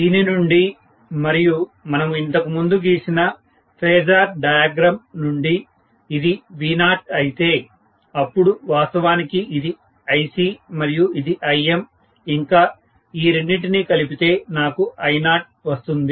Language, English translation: Telugu, From which and from the phasor diagram we drew earlier, if this is V0, I am going to have actually this as Ic and this as Im and the addition of these two, I am going to get as I0